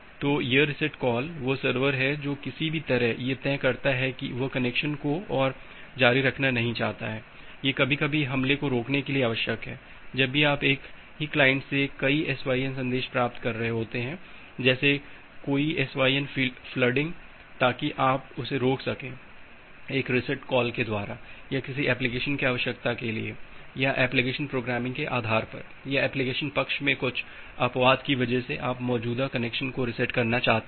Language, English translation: Hindi, So, this reset call is that server somehow decides that it do not want to continue the connection any more, that is sometime required to prevent the attack whenever you are receiving multiple SYN messages from the same client like a SYN flooding thing to prevent that you can have a reset call or maybe for some application requirement or based on the application programming or certain exception in the application side you want to reset the existing connection